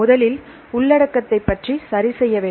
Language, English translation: Tamil, First you have to fix about the contents right